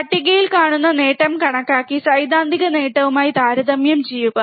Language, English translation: Malayalam, Calculate the gain observed in the table and compare it with the theoretical gain